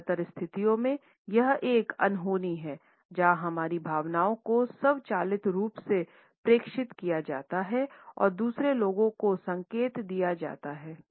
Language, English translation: Hindi, In most of the situations it is an unintention use where our feelings and our emotions are automatically transmitted and signal to other people